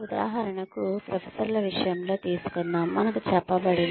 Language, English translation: Telugu, For example, let us take the case of professors, we are told